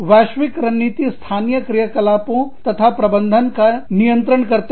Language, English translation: Hindi, Global strategy governs, local operations and management